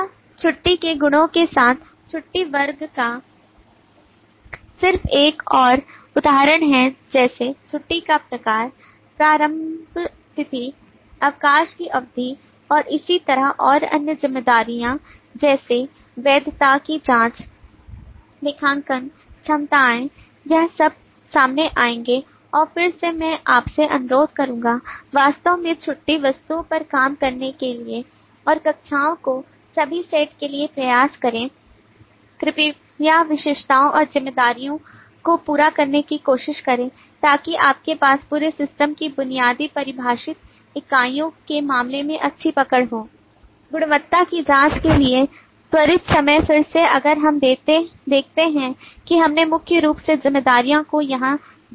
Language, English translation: Hindi, this is just another example of the leave class with the attributes of the leave like type of leave, start date, duration of leave and so on and other responsibilities like validity check, accounting, (()) (00:23:25) will come up and again i will request you to actually work out on the leave objects and try to for all the set of classes please try to complete the attributes and the responsibility so that you have a good hold in terms of the basic defining entities of the whole system